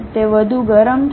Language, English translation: Gujarati, It might be overheated